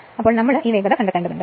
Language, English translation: Malayalam, So, we have to find out this speed right